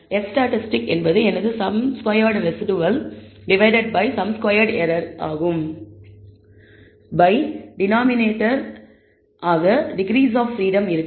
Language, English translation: Tamil, So, F statistic is nothing but my sum squared residual divided by the sum square error by the degrees of freedom for the denominator